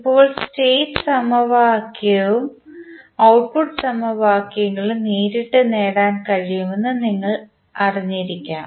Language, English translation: Malayalam, Now, you may be knowing that the state equation and output equations can be obtain directly